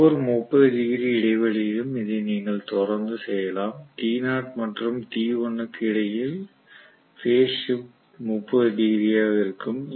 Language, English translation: Tamil, You can keep on doing this for every 30 degree interval you will see that between t knot and t1 the phase shift is 30 degrees